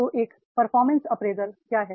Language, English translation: Hindi, So what is the performance appraisal